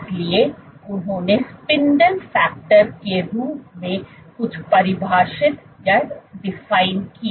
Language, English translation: Hindi, So, they defined something as spindle factor